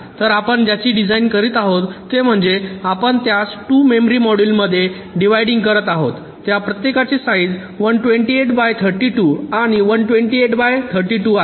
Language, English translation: Marathi, so the way we are designing it is that we are dividing that into two memory modules, each of them of size one twenty eight by thirty two and one twenty eight by thirty two